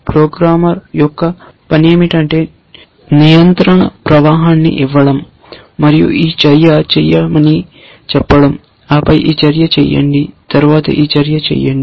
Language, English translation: Telugu, The task of the programmer is to give a control flow, say do this action, then do this action, then do this action